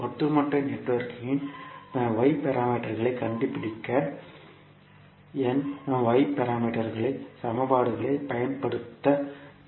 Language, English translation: Tamil, We have to use the Y parameters equations to find out the Y parameters of overall network